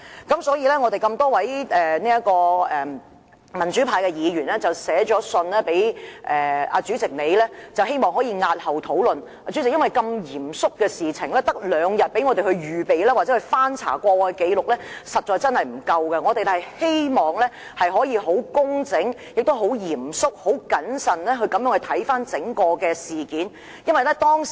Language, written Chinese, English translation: Cantonese, 故此，多位民主派議員曾致函主席閣下，希望押後討論這個議程項目，因為如此嚴肅的一件事，議員只有兩天時間預備或翻查紀錄，實在不足夠；我們希望可以工整、嚴肅和謹慎地處理整件事。, For this reason a number of Members wrote to the President to express the wish that discussion on this Agenda item be deferred because given the seriousness of the matter Members simply do not have enough time to make preparation or review past records within two days . We hope that the matter can be handled in a neat serious and prudent manner